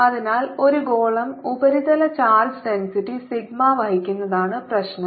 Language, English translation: Malayalam, so the problem is: a sphere carries surface charge, density, sigma